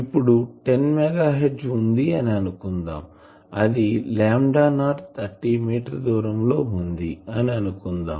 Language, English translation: Telugu, Let us calculate 10 megahertz so, it is lambda not that will be 30 meter